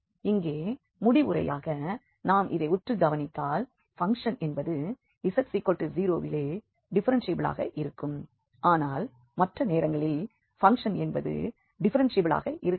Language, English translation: Tamil, And here as a conclusion, we also observed that the function is actually differentiable at z equal to 0 but note that function may not be differentiable